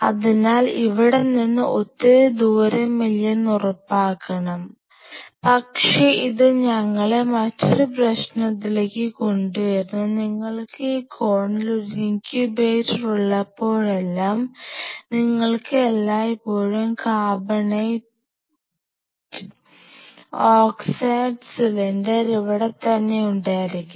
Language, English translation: Malayalam, So, you ensure you do not want to travel all the way out here, but that brings us to another problem whenever you have an incubator in this corner you always have to have the nitrogen, sorry the carbonate oxide cylinder to be taken all the way after here